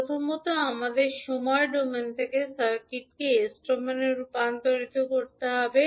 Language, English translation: Bengali, So we will first transform the circuit into s domain